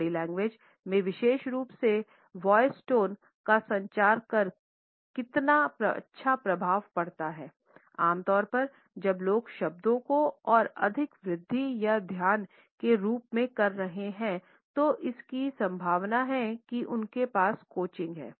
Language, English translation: Hindi, Body language in particularly voice tone have a profound effects on how well you communicate, normally as people rise up the words the more noticeable they are the more or likely they have coaching